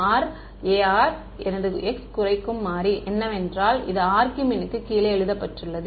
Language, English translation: Tamil, Ar; what is my variable of minimization is x that is written below the argmin